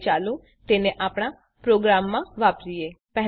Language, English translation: Gujarati, Now Let us use it in our program